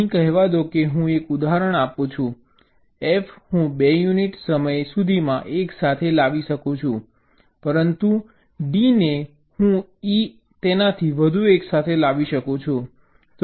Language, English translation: Gujarati, let say, here i am give an example: f i can bring together by two units of time, but d and e i can bring together further, more than that